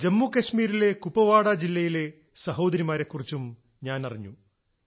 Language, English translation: Malayalam, I have also come to know of many sisters from Kupawara district of JammuKashmir itself